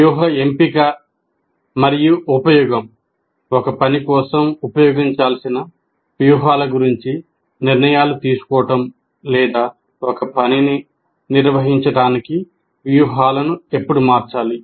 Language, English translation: Telugu, So planning activities, then strategy selection and use, making decisions about strategies to use for a task or when to change strategies for performing a task